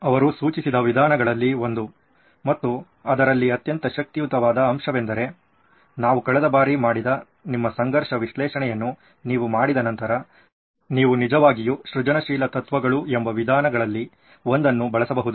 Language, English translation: Kannada, One of the methods that he suggested and a very powerful one at that is one of the components is after you do your conflict analysis which we did last time, you can actually use one of the methods called inventive principles